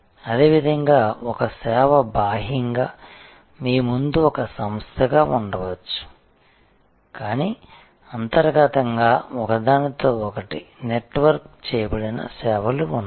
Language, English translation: Telugu, Similarly, a service may be externally one entity in front of you, but internally a plethora of services which are networked together